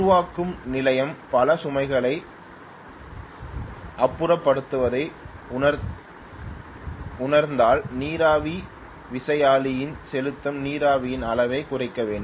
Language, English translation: Tamil, If the generating station realizes many loads having shed off, then they have to reduce the amount of steam that they are pumping into the steam turbine right